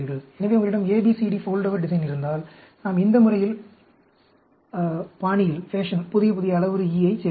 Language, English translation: Tamil, So, if you have a ABCD Foldover design, then, we can add a new, new parameter E in this fashion